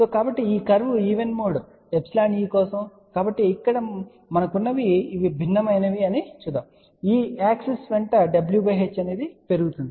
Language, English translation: Telugu, So, this is the curve for even mode epsilon e , so what we have here let us see these are the different values along this it is w by h is increasing along this axes